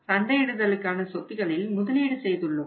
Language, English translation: Tamil, We have made investment in the marketing assets